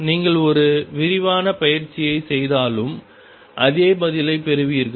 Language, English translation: Tamil, Even if you do an elaborate exercise you will get exactly the same answer